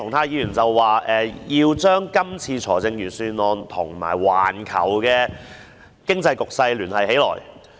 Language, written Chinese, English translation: Cantonese, 鄭議員表示，要將這份預算案跟環球經濟局勢聯繫起來。, Dr CHENG said the Budget should be linked to the global economic situation